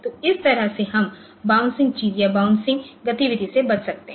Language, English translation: Hindi, So, this way we can avoid this bouncing thing the bouncing activity so we can avoid